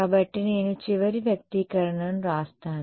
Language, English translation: Telugu, So, I will write down the final expression